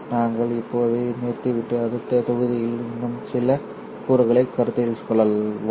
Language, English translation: Tamil, We will stop now and consider a few more components in the next module